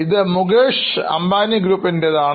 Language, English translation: Malayalam, It belongs to Mukeshambani Group